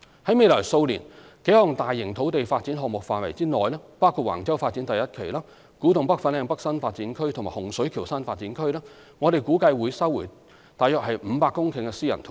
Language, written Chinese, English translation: Cantonese, 在未來數年幾項大型土地發展項目的範圍內，包括橫洲發展第一期、古洞北/粉嶺北新發展區及洪水橋新發展區，我們估計會收回約500公頃的私人土地。, We estimate that a total of about 500 hectares of private land within the boundary of a few major land development projects which include Wang Chau Phase 1 Development KTNFLN NDA and Hung Shui Kiu HSK NDA will be resumed in the coming years